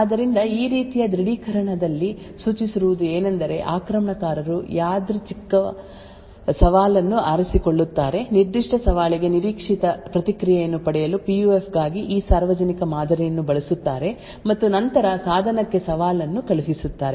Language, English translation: Kannada, Therefore, in this form of authentication what is suggested is that the attacker picks out a random challenge, uses this public model for the PUF to obtain what an expected response for that particular challenge and then sends out the challenge to the device